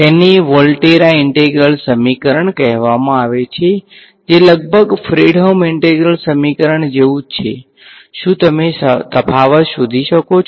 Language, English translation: Gujarati, It is called a Volterra integral equation which is almost identical to a Fredholm integral equation, can you spot the difference